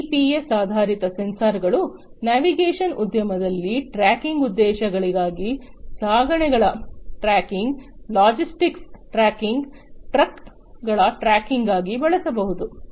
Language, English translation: Kannada, GPS based sensors are the ones that can be used in the navigation industry for tracking purposes, tracking of shipments, tracking of logistics, tracking of trucks, and so on